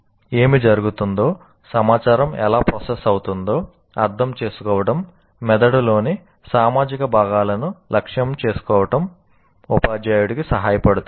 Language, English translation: Telugu, So, an understanding of what is happening, how the information is going to get processed, will help the teacher to target social parts of the brain